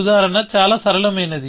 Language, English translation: Telugu, The example is quite a simple one